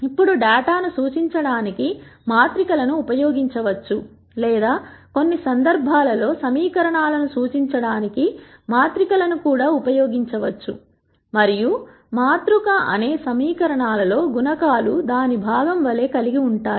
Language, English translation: Telugu, Now, matrices can be used to represent the data or in some cases matrices can also be used to represent equations and the matrix could have the coef cients in several equations as its component